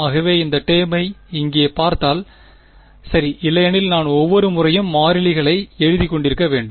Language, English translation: Tamil, So this if I just let us just look at this term over here ok, otherwise I will have to keep writing the constants each time